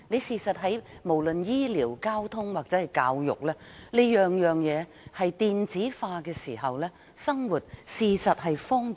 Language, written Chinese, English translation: Cantonese, 事實上，當醫療、交通或教育等各方面均可以電子化的時候，生活會更為方便。, In fact we will enjoy more convenience in our daily life when we have e - health care e - transport or e - education